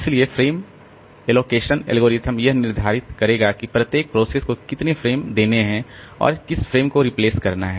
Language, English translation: Hindi, So, frame allocation algorithm will determine how many frames to give to each process and which frames to replace